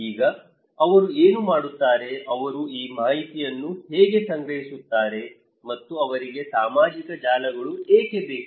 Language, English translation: Kannada, Now, what do they do, how they would collect these informations, and why do they need social networks